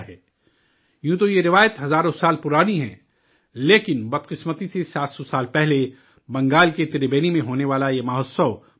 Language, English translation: Urdu, Although this tradition is thousands of years old, but unfortunately this festival which used to take place in Tribeni, Bengal was stopped 700 years ago